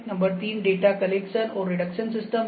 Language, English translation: Hindi, Number 3 is the data collection and reduction system